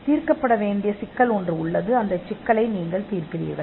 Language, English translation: Tamil, There is a problem to be solved, and you solve the problem